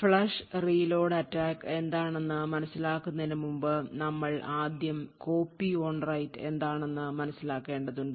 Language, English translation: Malayalam, So to understand the flush and reload attacks we would 1st need to understand something known as Copy on Write